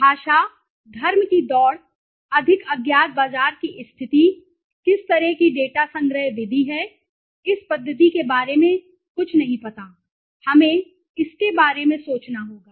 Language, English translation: Hindi, anguage, religion race, more unknowns market conditions, what kind of data collection method I do not know at the method, we have to think about it